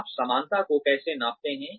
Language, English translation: Hindi, How do you measure likeability